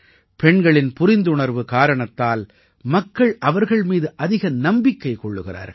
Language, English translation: Tamil, Because of the sensitivity in women, people tend to trust them more